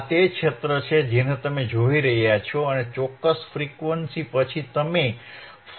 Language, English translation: Gujarati, It is working, this is the area that you are looking at, this is the area you are looking at and after certain frequency you will be able to see 5 Volts again